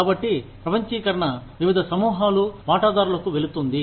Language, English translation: Telugu, So, this is what, globalization is going to different groups of stakeholders